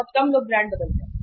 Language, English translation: Hindi, Very few people change the brands